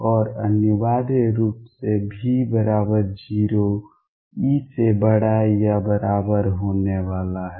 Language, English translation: Hindi, And necessarily v 0 e is going to be greater than or equal to 0